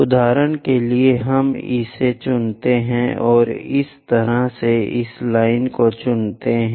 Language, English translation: Hindi, For example, let us pick this one and similarly pick this line